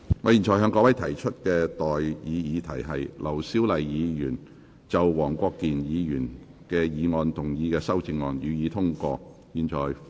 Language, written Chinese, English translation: Cantonese, 我現在向各位提出的待議議題是：劉小麗議員就黃國健議員議案動議的修正案，予以通過。, I now propose the question to you and that is That the amendment moved by Dr LAU Siu - lai to Mr WONG Kwok - kins motion be passed